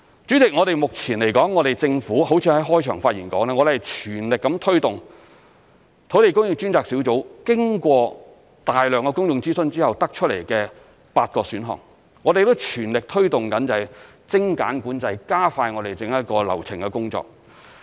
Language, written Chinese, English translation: Cantonese, 主席，如我在開場發言所說，目前政府正全力推動土地供應專責小組經過大量公眾諮詢後得出的8個選項，我們亦全力推動精簡管制、加快整個流程的工作。, President as I said in my opening remarks the Government is now pressing ahead with the eight land supply options identified by the Task Force on Land Supply after extensive public consultation and we are pressing ahead with the work of streamlining control and expediting the entire work process